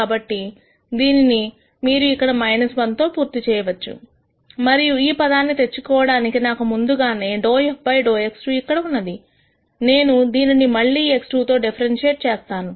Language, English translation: Telugu, So, you can simply fill in the minus 1 here and to get this term I already have dou f dou x 2 here I differentiate this again with respect to x 2